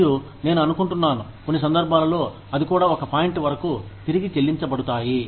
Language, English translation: Telugu, And, I think, in some cases, they are also reimbursed up to a point